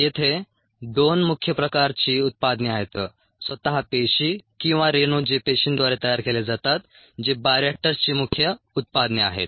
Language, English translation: Marathi, so there are two major types of products: the cells themselves or the molecules that are made by the cells, which are the main products from bioreactors